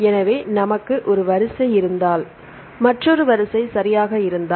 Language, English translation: Tamil, So, if we have one sequence and we have another sequence right